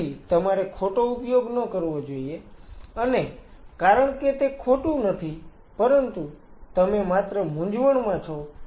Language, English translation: Gujarati, So, you should not use the wrong because it is not the wrong; it is just the confused